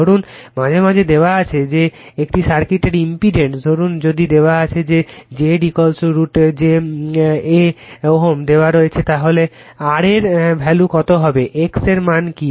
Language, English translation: Bengali, Suppose sometimes is given suppose if it is given that impedance of a circuit , suppose if it is given that Z is equal to say root j , a ohm it is given then what is the value of r what is the value of x right